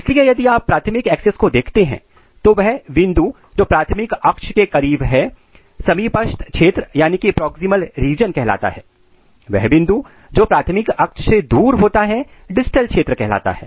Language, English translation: Hindi, So, if you look this is the primary axis, so the axis, the point which is close to the primary axis is called proximal region and the point which is away from the primary axis is called distal region